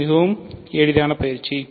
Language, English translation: Tamil, So, this is the very easy exercise